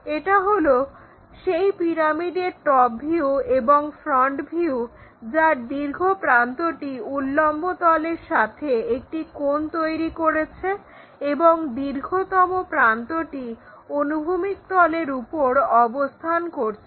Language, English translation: Bengali, This is the way we construct this top, this is the top view and this is the front view of a pyramid whose longer edge is making an inclined angle with the vertical plane and is longest edges resting on the horizontal plane also